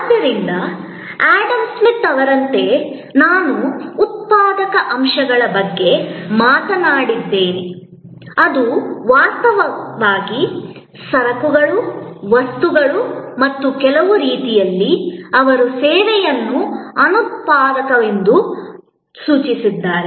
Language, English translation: Kannada, So, like Adam Smith I have talked about productive elements, which were actually the goods, objects and in some way, he connoted services as unproductive